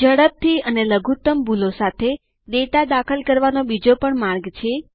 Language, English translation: Gujarati, There is another way to enter data swiftly as well as with minimum errors